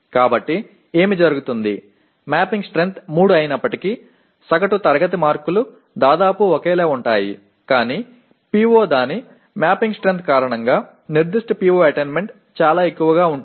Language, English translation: Telugu, So what happens, the mapping strength being 3 though the average class marks are roughly the same but the PO that particular PO attainment turns out to be quite high because of its mapping strength